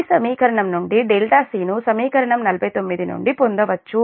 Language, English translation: Telugu, this delta c can be obtained from your equation forty nine